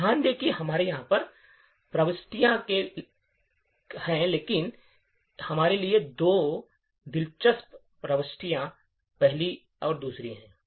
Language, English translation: Hindi, So, notice that we have several entries over here but two interesting entries for us is the first and second